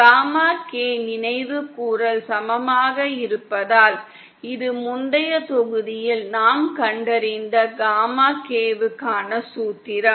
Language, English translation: Tamil, Because gamma K recall is equal to, this is the formula for gamma K that we have found in the previous module